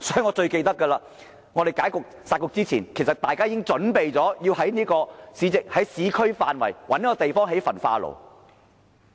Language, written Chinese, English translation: Cantonese, 我記得在"殺局"前，大家已準備在市區範圍覓地興建焚化爐。, I remember that before the scrapping of the two Municipal Councils people were prepared to identify sites in urban areas for the construction of incinerators